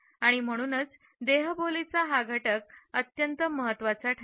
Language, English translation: Marathi, This aspect of body language is now important for us